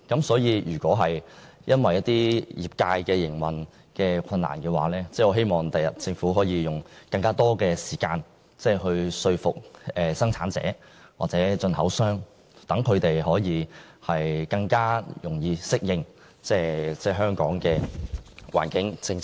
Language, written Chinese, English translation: Cantonese, 所以，如果張貼標籤對業界造成營運上的困難，我希望政府日後可以多花時間說服生產者或進口商，讓他們更容易適應香港的環境政策。, Therefore if labelling is likely to give rise to operational difficulties I hope that the Government can in the future spend more time to convince the manufacturers or importers and help them adapt to the environmental policy of Hong Kong